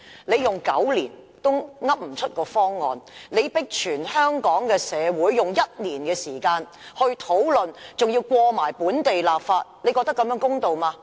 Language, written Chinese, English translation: Cantonese, 你花了9年時間也說不出方案，現在卻迫香港社會以1年時間討論，並且通過本地立法，你認為這樣做公道嗎？, You have spent nine years on it and yet you cannot present any proposal . Now you are forcing the community of Hong Kong to spend one year discussing it and completing the process of local legislation altogether . Do you consider this fair?